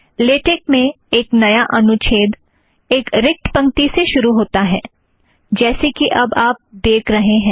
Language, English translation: Hindi, One starts a new paragraph in latex through a blank line as we show now